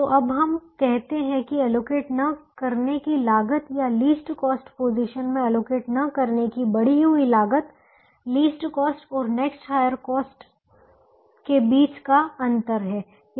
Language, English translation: Hindi, so we now say that the cost of not, or the increased cost of not being able to allocate in the least cost position is the difference between the least cost and the next higher cost